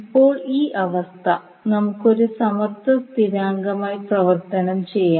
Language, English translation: Malayalam, Now this condition we can converted into equality constant